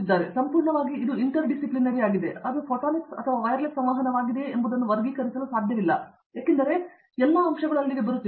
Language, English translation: Kannada, Again, it’s completely interdisciplinary you cannot classify whether it is a photonics or a wireless communication because all aspects of it is coming in there, right